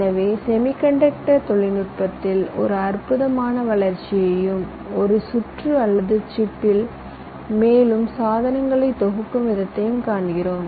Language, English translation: Tamil, so we are seeing a fantastic growth in the semi conducted technology and the way we are able to pack more and more devices in a single circuit or a chip